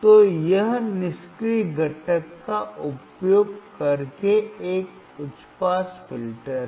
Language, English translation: Hindi, So, it is a high pass filter using passive component